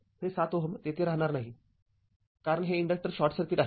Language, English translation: Marathi, This 7 ohm will not be there because this inductor is short circuited